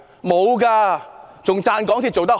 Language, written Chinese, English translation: Cantonese, 沒有，還稱讚港鐵做得好。, Some even praised the MTR Corporation Limited MTRCL for doing a good job